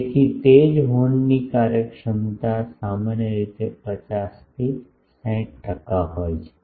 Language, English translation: Gujarati, So, that is why efficiency of horns are typically 50 to 60 percent